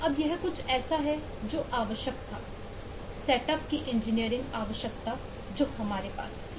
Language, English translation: Hindi, now, this is something which was required, which is a engineering requirement of the setup that we had